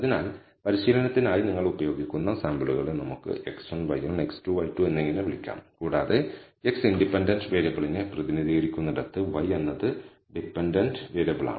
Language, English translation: Malayalam, So, let us call the samples that you use for training as x 1, y 1, x 2, y 2 and so on where x represents the independent variable, y is the dependent variable